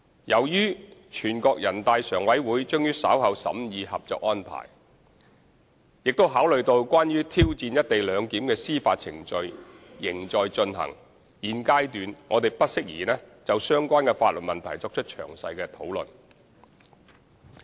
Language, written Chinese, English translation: Cantonese, 由於全國人大常委會將於稍後審議《合作安排》，並考慮到關於挑戰"一地兩檢"的司法程序仍在進行，現階段我們不適宜就相關法律問題作出詳細討論。, Since NPCSC will be examining the Co - operation Arrangement and legal proceedings challenging co - location arrangement are still ongoing it would be inappropriate for us to comment on legal issues in detail at this stage